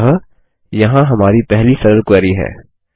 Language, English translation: Hindi, So there is our first simple query